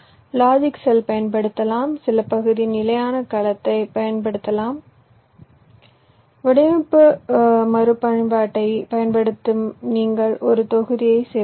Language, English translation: Tamil, you can use standard cell, some property you can use, using design reuse, you can include a block like that